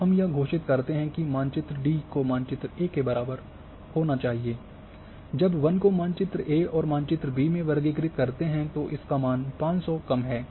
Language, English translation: Hindi, And say so, we declare that map D should be equal to map A when the forest is the category in map A and in map B it is less than 500